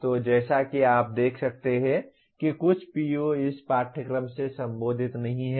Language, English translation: Hindi, So as you can see some of the POs are not addressed by this course